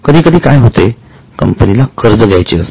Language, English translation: Marathi, Sometimes what happens is company wants to raise loan